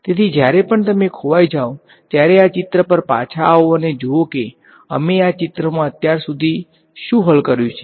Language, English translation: Gujarati, So, whenever you get lost come back to this picture and see what have we solved so far in this picture fine alright